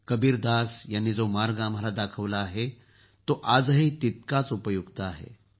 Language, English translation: Marathi, The path shown by Kabirdas ji is equally relevant even today